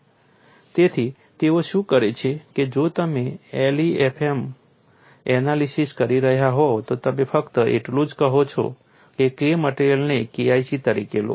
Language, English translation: Gujarati, So, what they do is if you're doing a l e f m analysis, you simply say take K material as K1c